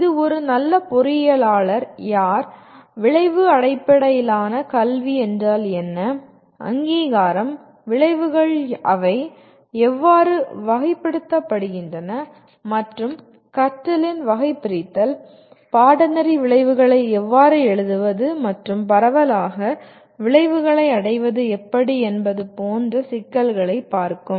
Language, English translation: Tamil, This will look at issues like who is a good engineer, what is outcome based education, the accreditation, outcomes themselves how they are classified and taxonomy of learning, how to write course outcomes and broadly how do you measure the attainment of outcomes